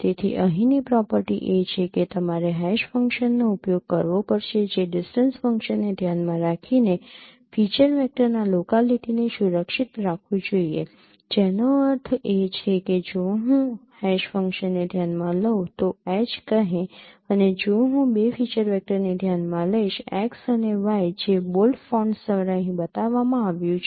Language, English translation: Gujarati, So the property here is that you have to use an hash function which should preserve the locality of feature vectors with respect to distance function which means that if I consider a hash function say H and if I consider two feature vectors X and Y which are being shown here by bold fonts